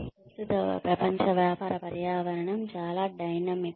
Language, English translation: Telugu, The current global business environment is so dynamic